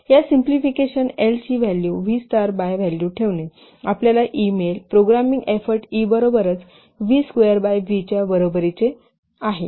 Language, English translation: Marathi, So by putting the value of by putting the value of L is equal v star by V in this equation we get programming effort is equal to v square by V